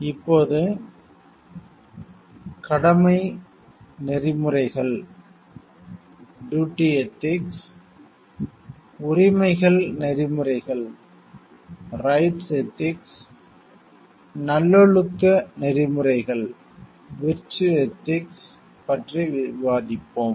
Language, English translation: Tamil, Now, we will discuss about the duty ethics, rights ethics, virtue ethics